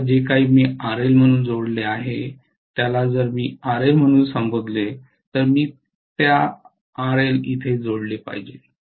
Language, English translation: Marathi, Now whatever I have connected as RL if I may call this as RL I should connect that RL here